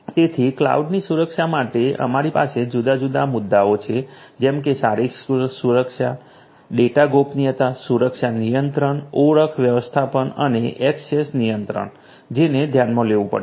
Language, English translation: Gujarati, So, for cloud security then we have all these different issues that will have to be taken into consideration, the physical security, data privacy security controls, identity management and access control